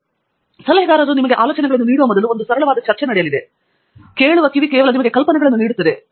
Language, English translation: Kannada, And simple discussion Like Abhijith said, a simple discussion will even before the advisor gives you ideas, just a listening ear will actually give you ideas